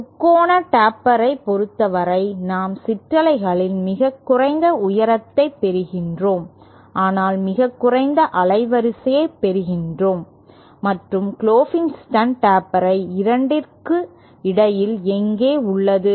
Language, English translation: Tamil, For the triangular taper we get the lowest height of the ripples but we also get the lowest bandwidth and Klopfenstein taper is somewhere between the two